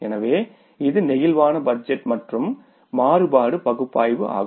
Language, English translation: Tamil, So, this is the flexible budget and the variance analysis